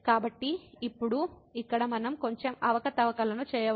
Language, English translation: Telugu, So now, here we can do little bit manipulations